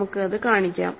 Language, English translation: Malayalam, So, let us show that